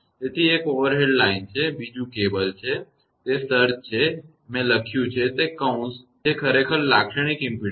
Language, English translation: Gujarati, So, one is overhead line; another is cable, the surge that is the in bracket I have written that is the characteristic impedance actually